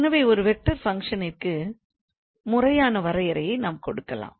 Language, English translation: Tamil, So, we can give a formal definition for a vector function